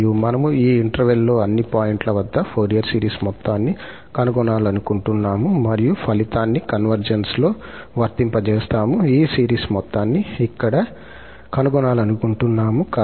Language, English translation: Telugu, And, we want to find the sum of the Fourier series for all points in this interval and then applying the result on the convergence, we want to find the sum of this series here